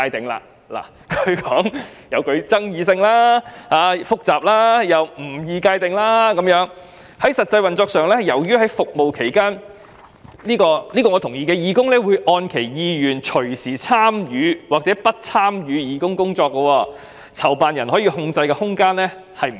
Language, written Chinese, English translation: Cantonese, 政府說加入該詞具爭議性、複雜，而該詞又不易界定，因為"在實際運作上，由於在服務期間，義工一般會按其意願隨時參與或不參與義工工作，籌辦人可控制的空間不多"。, According to the Government inserting the term is controversial and complicated and the term is not easy to define because in terms of practical operation volunteers generally come and go at their will without much control from the organizer in the course of service